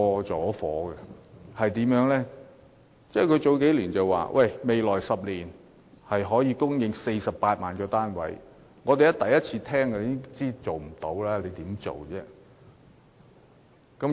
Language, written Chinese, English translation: Cantonese, 政府在數年前表示，未來10年可以供應48萬個住宅單位，我們一聽都知道根本不可能做到。, A few years ago the Government indicated that it could supply 480 000 residential flats in the next 10 years . On hearing that we knew that it was basically impossible to do so